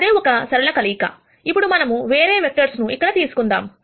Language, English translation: Telugu, So, that is one linear combination, now let us take some other vector here